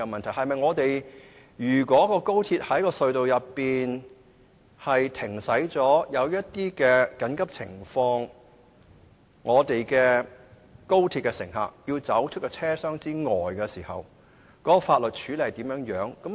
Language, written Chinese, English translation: Cantonese, 例如，如果高鐵在隧道內停駛或遇到緊急情況，高鐵乘客必須離開車廂，法律上應如何處理呢？, For instance in the event of a suspension of service inside a tunnel or evacuation of passengers from train compartments how will such a situation be dealt with according to law?